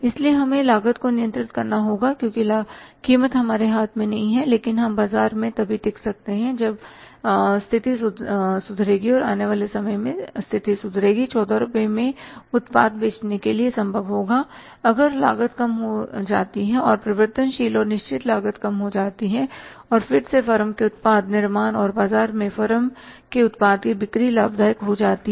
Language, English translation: Hindi, So, we have to sustain in the market so we have to control the cost because price is not in our hands but we only can sustain in the market if the situation improves in the time to come, selling the product at 14 rupees also will be possible if the cost is reduced, variable and the fixed cost is reduced and again the product of the firm manufacturing and selling of the product of the firm in the market becomes profitable